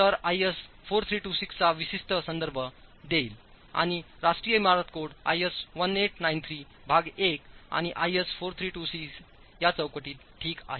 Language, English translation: Marathi, So we'll make specific reference to IS 4326 and it's within this framework of National Building Code, IS 1893 Part 1, and 4326 that we will have to operate